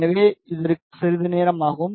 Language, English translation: Tamil, So, it just take some time